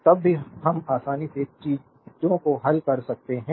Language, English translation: Hindi, Then only we can we can solve things easily